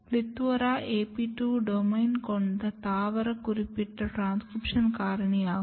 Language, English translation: Tamil, PLETHORA’S are AP 2 domain containing plant specific transcription factor